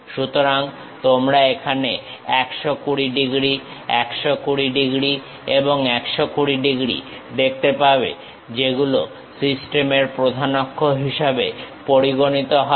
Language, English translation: Bengali, So, you can see here the 120 degrees, 120 degrees and 120 degrees which serves as principal axis of the system